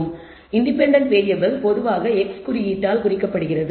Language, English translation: Tamil, So, the independent variable is denoted by the symbol x typically